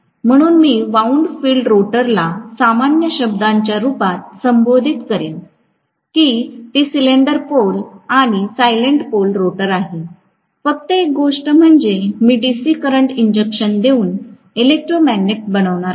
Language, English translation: Marathi, So, I would call wound field rotor as the common terminology for whether it is salient or cylindrical pole rotor, only thing is I am going to make an electromagnet by injecting DC current